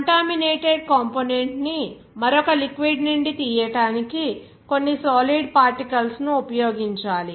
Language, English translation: Telugu, That some solid particles should be used to extract that contaminated component from another liquid